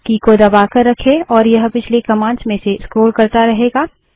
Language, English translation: Hindi, Keep pressing and it will keep scrolling through the previous commands